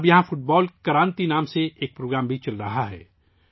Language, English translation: Urdu, Now a program called Football Kranti is also going on here